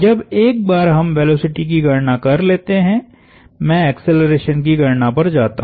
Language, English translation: Hindi, Once, we are done with our velocity computation, I moved onto acceleration computation